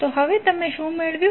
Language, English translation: Gujarati, So what you have got now